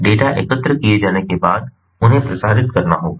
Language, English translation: Hindi, so after the data are collected, they have to be transmitted